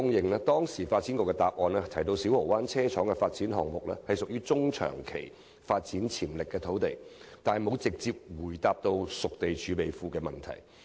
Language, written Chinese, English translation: Cantonese, 發展局在當時的答覆中提到，小蠔灣車廠發展項目屬中、長期發展潛力土地，但卻沒有直接回答有關熟地儲備庫的問題。, In its reply given then the Development Bureau said that the Siu Ho Wan Depot Site was a site with housing development potential in the medium - to - long term but a direct answer was not given to my question concerning the setting up of a reserve for spade - ready sites